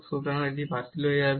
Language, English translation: Bengali, So, this will get cancelled